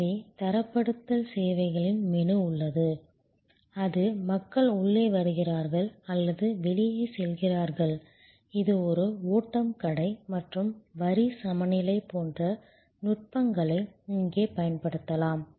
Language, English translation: Tamil, So, there is a menu of standardizing services and it is, people are coming in or going out, it is a flow shop and techniques like line balancing can be used here